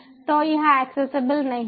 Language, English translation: Hindi, so it is not accessible